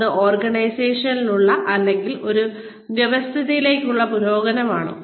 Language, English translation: Malayalam, Is it progression, within the organization, or within that occasion, or within that system